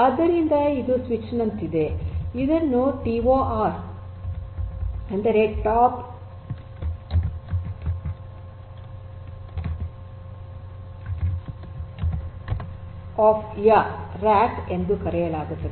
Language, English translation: Kannada, So, this is like a switch and this is known as TOR means Top of Rack